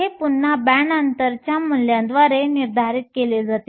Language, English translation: Marathi, This again is determined by the value of the band gap